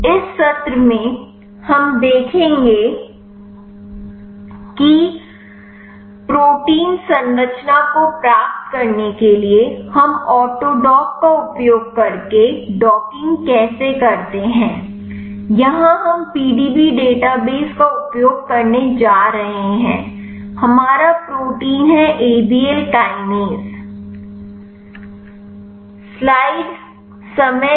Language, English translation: Hindi, In this session we will see how to do docking using autodock, in order to get the protein structure here we are going to use PDB database or interest of the protein is Abl kinase